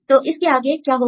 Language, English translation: Hindi, So, how to do that